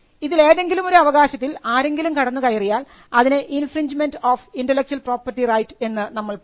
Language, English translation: Malayalam, So, if there is intrusion into any of these rights the invention, then we would say that there is an infringement of the intellectual property right